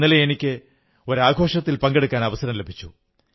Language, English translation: Malayalam, Yesterday I got the opportunity to be part of a function